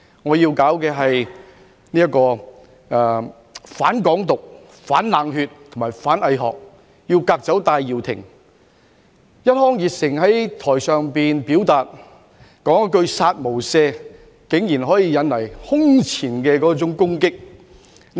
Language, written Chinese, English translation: Cantonese, 我要搞的是"反港獨、反冷血、反偽學，革走戴耀廷"，一腔熱誠在台上表達，說一句"殺無赦"，竟然可以引來空前的攻擊。, Much to my surprise when I enthusiastically uttered the phrase kill without mercy on stage to express my intention to fight against Hong Kong independence cold - bloodedness and hypocrisy and push for the sacking of Benny TAI it drew unprecedented attacks